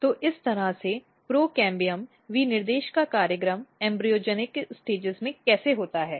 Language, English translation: Hindi, So, this is how the program of pro cambiums specification takes place at embryogenic stages